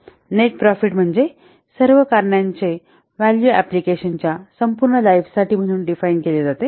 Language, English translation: Marathi, Net profit is defined as the value of all the cost cash flows for the life of the lifetime of the application